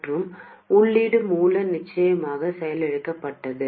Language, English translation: Tamil, And the input source of course is deactivated